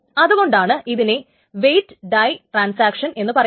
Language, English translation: Malayalam, So that is why this is called a weight die transaction